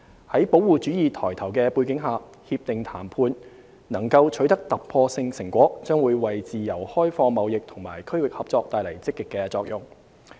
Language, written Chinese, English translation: Cantonese, 在保護主義抬頭的背景下，《協定》談判能夠取得突破性成果，將會為自由開放貿易和區域合作帶來積極作用。, Against the headwind of protectionism the breakthrough in RCEP negotiation will bring positive effects to promoting free and open trade and furthering regional cooperation